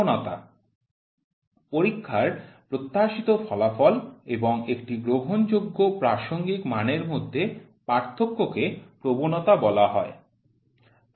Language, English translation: Bengali, Bias: the difference between the expectation of the test result and an accepted reference value is called as bias